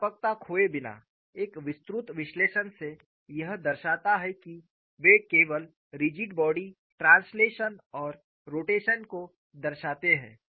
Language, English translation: Hindi, Without losing generality, by a detailed analysis, it shows they represent only rigid body translation and rotation, we could make them